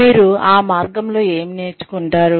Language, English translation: Telugu, What you learn along the way